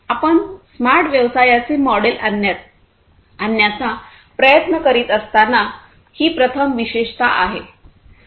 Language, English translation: Marathi, This is the first key attribute when you are trying to come up with a smart business model